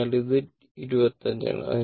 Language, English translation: Malayalam, So, it is your 25